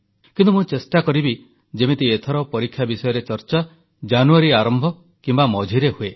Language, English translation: Odia, It will be my endeavour to hold this discussion on exams in the beginning or middle of January